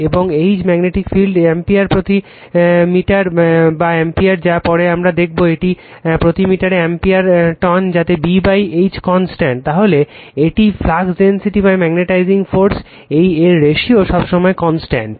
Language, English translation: Bengali, And H right the magnetic field ampere per meter or we will later we will see it is ampere tons per meter that B by H is constant, then its flux density by magnetizing force ratio is always constant right